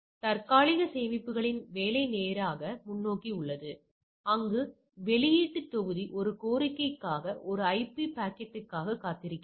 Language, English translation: Tamil, So, working of the caches is straight forward, there output module waits for an IP packet for a request